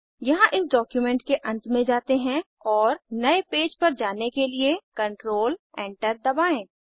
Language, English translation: Hindi, Here let us go to the end of the document and press Control Enter to go to a new page